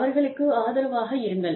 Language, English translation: Tamil, Be supportive of them